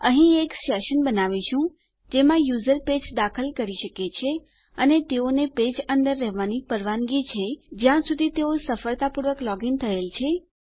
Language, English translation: Gujarati, Here, well create a session in which the user can enter a page and theyre allowed to be inside the page as long as they have successfully logged in